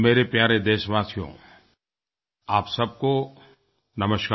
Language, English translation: Hindi, Fellow citizens, Namaskar to all